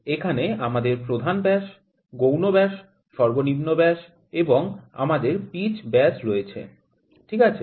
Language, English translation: Bengali, Here we have the major dia, the minor dia, the minimum dia and we have pitch diameter, ok